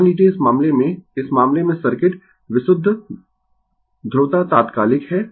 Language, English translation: Hindi, Suppose, in this case, in this case circuit is purely polarity is instantaneous